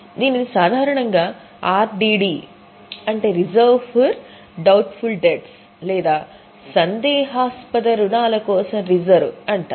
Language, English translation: Telugu, This is normally is known as RDD or reserve for doubtful debts